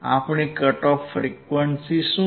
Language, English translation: Gujarati, What is our cut off frequency